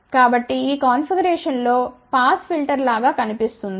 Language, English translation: Telugu, So, this configuration also looks like a low pass filter